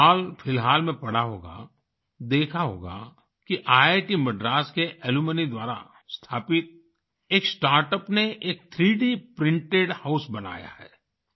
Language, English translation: Hindi, Recently you must have read, seen that a startup established by an alumni of IIT Madras has made a 3D printed house